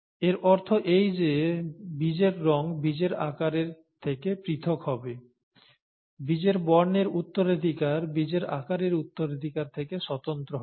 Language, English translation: Bengali, Therefore the seed colour would be independent of seed shape, the inheritance of seed colour would be independent of the inheritance of the seed shape, that is what it means